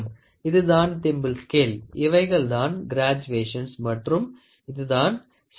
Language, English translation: Tamil, So, this is what the thimble scale, scale and here are the graduations and here is the sleeve